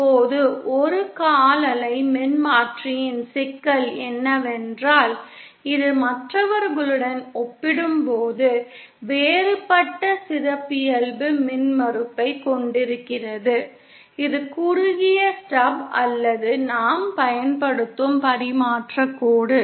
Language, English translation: Tamil, Now the problem with quarter wave transformer is that it is it is it has a different characteristic impedance compared with others either shorted stub or the piece of transmission line that we are using